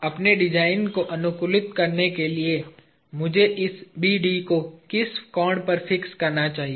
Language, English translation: Hindi, At what angle should I fix this BD, in order to optimize my design